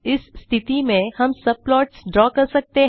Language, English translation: Hindi, In such cases we can draw subplots